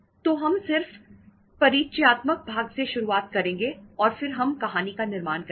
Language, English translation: Hindi, So we will start just with the introductory part and then we will build up the story